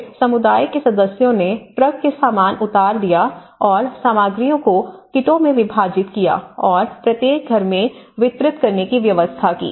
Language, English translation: Hindi, Then, the community members offload the truck and then they divided the materials into kits and each household then arranged the transportation from the distribution point to their home